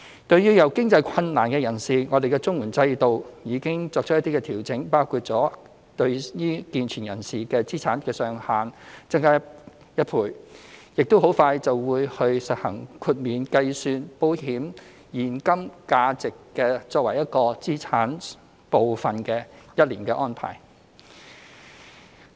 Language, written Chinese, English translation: Cantonese, 對於有經濟困難的人士，綜援制度已作出一些調整，包括將健全人士申領綜援的資產上限增加1倍，亦很快會實行豁免計算新申請人的所有保險計劃的現金價值作為資產一部分的安排，豁免期為一年。, For those in financial difficulty some adjustments to the CSSA Scheme have already been made including the relaxation of the asset limits for able - bodied persons by 100 % when they apply for CSSA . The arrangement of excluding the cash value of all insurance policies owned by new applicants as a part of their assets within a one - year exemption period will soon be implemented as well